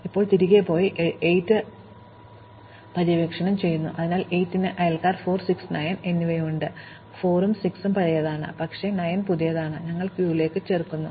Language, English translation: Malayalam, Now, we go back and explore 8, so 8 has neighbors 4, 6 and 9; 4 and 6 are old, but 9 is new, we add 9 to the queue